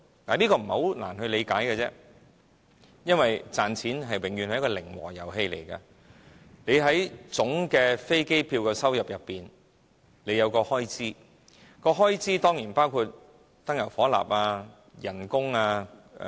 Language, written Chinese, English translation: Cantonese, 這不太難理解，因為賺錢永遠是一個零和遊戲，總飛機票的收入裏包含有很多項開支，這當然包括燃油、職員工資等。, This is not difficult to understand . Earning money is always a zero - sum game . Income derived from air tickets is in fact used to meet a lot of expenses including fuel and salary of course